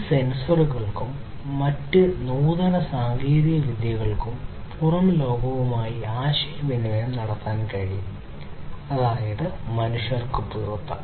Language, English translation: Malayalam, These sensors and different other advanced technologies are able to communicate with the outside world that means outside the human beings